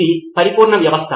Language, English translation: Telugu, It was perfect system